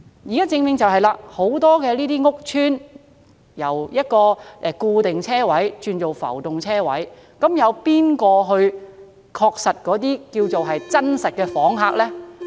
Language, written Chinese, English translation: Cantonese, 問題是，現時很多屋邨內的固定車位均轉為浮動車位，究竟由誰來確定哪些是真實訪客呢？, The question is given that the fixed parking spaces in many housing estates have now been converted into floating parking spaces who will ascertain who are bona fide guests?